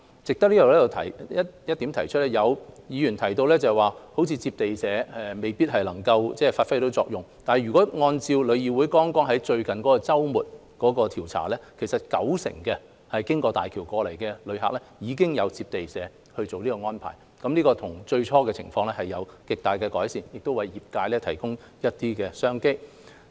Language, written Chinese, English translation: Cantonese, 值得提出的是，有議員提到，地接社未必能發揮作用，但如果按照旅議會在剛過去的周末所作的調查，有九成經大橋來港的旅行團已經獲得地接社作出安排，這與最初的情況比較已有極大的改善，亦為業界提供了一些商機。, It is worth noting and as pointer out by some Members earlier local receiving agents might not be able to perform an effective role . Nevertheless according to the results of the survey conducted by TIC during the last weekend local receiving agents have made arrangements for 90 % of the tours visiting Hong Kong via HZMB . This is a huge improvement compared to the initial situation and business opportunities have been provided to the travel trade